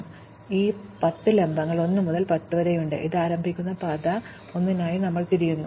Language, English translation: Malayalam, So, we have these 10 vertices 1 to 10 and we are looking for paths starting at 1